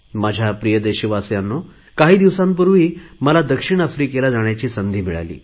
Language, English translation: Marathi, My dear countrymen, I had the opportunity to visit South Africa for the first time some time back